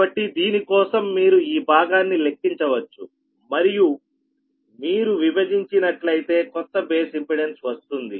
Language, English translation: Telugu, so for which you can compute this part right and divided by you are the new base impedance, right now